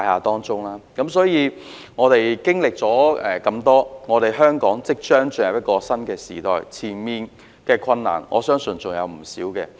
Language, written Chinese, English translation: Cantonese, 因此，我們真的經歷了很多，香港也即將進入一個新時代，前面的困難相信還有不少。, We have therefore experienced a lot and Hong Kong is about to enter a new era definitely with many difficulties ahead